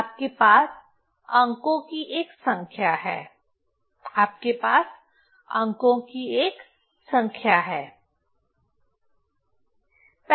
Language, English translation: Hindi, So, you have a number of digits, you have a number of digits